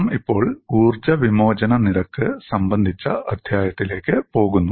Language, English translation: Malayalam, We will now move on to the chapter on energy release rate